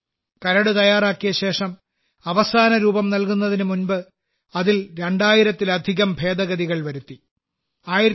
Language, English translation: Malayalam, After readying the Draft, before the final structure shaped up, over 2000 Amendments were re incorporated in it